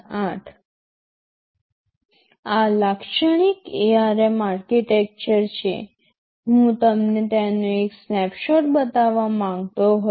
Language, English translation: Gujarati, TSo, this is the typical ARM typical architecture, I just wanted to show you just a snapshot of it